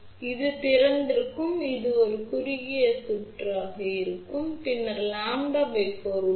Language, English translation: Tamil, So, this is open this will act as a short, then there is another lambda by 4